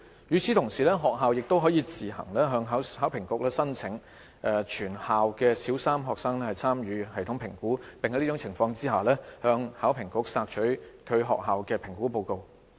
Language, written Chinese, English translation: Cantonese, 與此同時，學校可自行向考評局申請全校小三學生參與系統評估，並在此情況下可向考評局索取其學校的評估報告。, Meanwhile schools may apply to HKEAA on their own for participation in TSA by all the Primary 3 students in their schools and may request for their TSA school reports from HKEAA under such circumstances